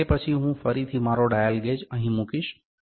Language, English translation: Gujarati, And then, I will again put my dial gauge here